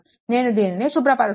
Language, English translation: Telugu, So, let me clean it , right